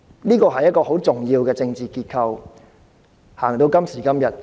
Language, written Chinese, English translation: Cantonese, 這是一個很重要的政治結構，一直推行至今。, This is a very important political structure which has been implemented since then